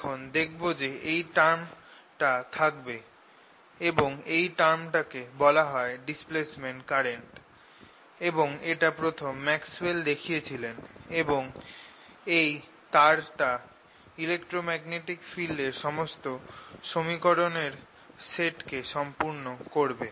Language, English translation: Bengali, we will now show that it should indeed exist and it is known as displacement current and it was introduced by maxwell, and that will complete the entire set of equations describing electromagnetic field